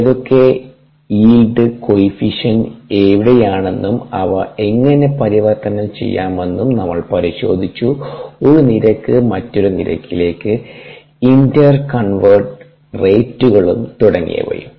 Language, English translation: Malayalam, then we looked at what yield coefficients, where and how they can be use to inter convert one rate to another rate, ah, inter convert rates